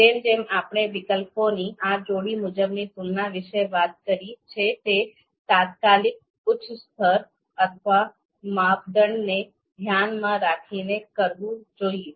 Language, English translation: Gujarati, So as we have talked about these pairwise comparisons of alternatives are to be with respect to immediate upper level that is you know criteria